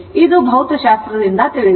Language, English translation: Kannada, This is from your physics you know right